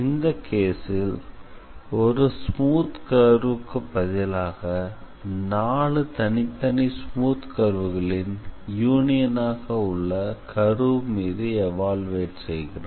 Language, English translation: Tamil, So, here in this case instead of having one smooth curve, we basically had how to say a union of four smooth curves and those four smooth curves actually needed to be evaluated